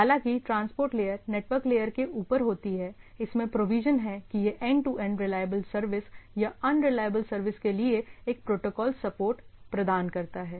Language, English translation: Hindi, So, though transport layer sits over network layer, it has the protocols supports to for a for giving a provision for end to end reliable service or in case of unreliable services right